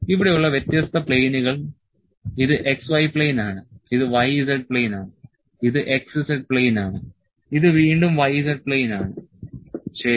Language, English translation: Malayalam, The different planes here this is x y plane, this is y z plane, this is x z plane, this is again y z plane, ok